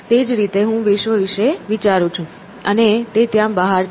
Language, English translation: Gujarati, So, that is how I think about the world and it is out there